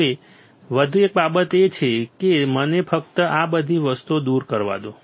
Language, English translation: Gujarati, Now, one more thing is let me just remove all these things